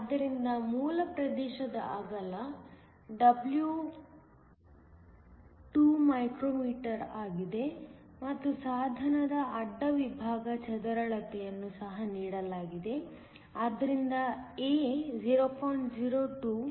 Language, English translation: Kannada, So, the width W of the base region is 2 μm; and the device cross section is also given, so A is 0